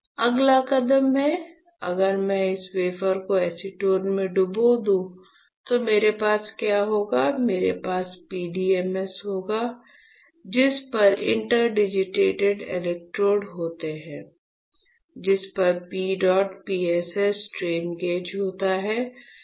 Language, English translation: Hindi, The next step is, if I dip this wafer in acetone what will I have; I will have PDMS on which there are interdigitated electrodes, on which there is a P dot PSS strain gauge, right